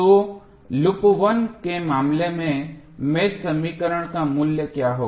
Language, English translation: Hindi, So, what would be the value of the mesh equation in case of loop 1